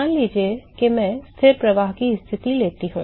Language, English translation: Hindi, Suppose I take constant flux condition constant flux conditions